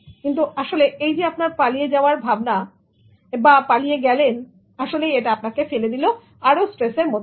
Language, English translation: Bengali, But actually thinking that you are escaping, you are actually putting more stress on yourself